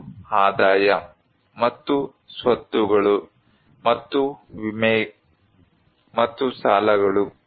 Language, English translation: Kannada, One is the income and assets and insurance and debts